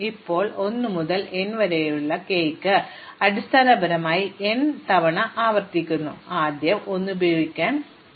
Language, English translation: Malayalam, Now, for k in 1 to n, I basically repeat this n times, I first allow 1 to be use